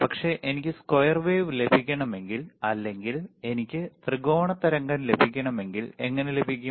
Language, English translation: Malayalam, bBut what if I want to get square wave, what if I want to get triangular wave, how can I get this